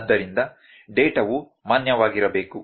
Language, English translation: Kannada, So, the data has to be valid